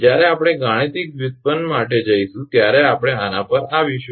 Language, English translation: Gujarati, When we will go for mathematical derivation we will come to this